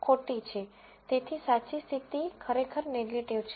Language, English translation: Gujarati, So, the true condition is actually negative